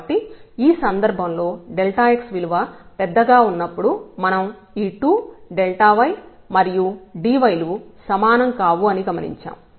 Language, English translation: Telugu, So, in this case what we have observe when delta x is large; obviously, these 2 the delta y and dy they are not the same